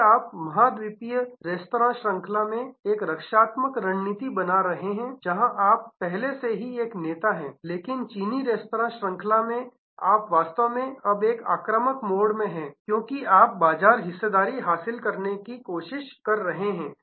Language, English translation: Hindi, Then, you are maintaining a defensive strategy in the continental restaurant chain, where you are already a leader, but in the Chinese restaurant chain you are actually, now in an offensive mode, because you are trying to acquire market share